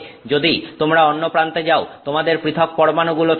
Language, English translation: Bengali, If you go to the other extreme, you have individual atoms